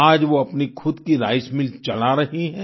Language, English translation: Hindi, Today they are running their own rice mill